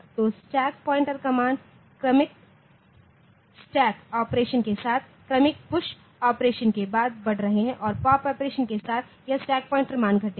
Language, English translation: Hindi, So, the stack pointer values are incrementing with successive stack operation successive push operation and with the pop operation this stack pointer value will decrease